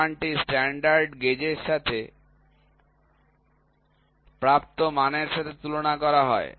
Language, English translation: Bengali, So, this value is compared with the value obtained with the standard gauge